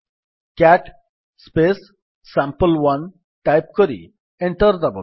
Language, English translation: Odia, Type cat sample1 and press Enter